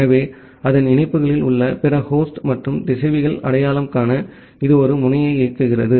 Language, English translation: Tamil, So, it enables a node to identify the other host and routers on its links